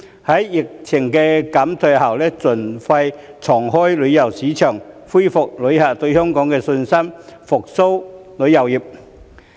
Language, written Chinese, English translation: Cantonese, 在疫情減退後，盡快重開旅遊市場，恢復旅客對香港的信心，復蘇旅遊業。, After the pandemic has subsided the authorities should reopen tourism markets as soon as possible and restore tourists confidence in Hong Kong with a view to reviving tourism